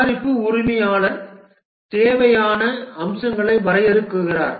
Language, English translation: Tamil, The product owner defines the features that are required